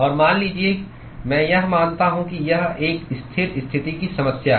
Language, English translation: Hindi, And, suppose, I pose it that it is a steady state problem